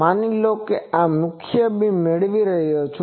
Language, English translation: Gujarati, Suppose, this is my main beam, I am getting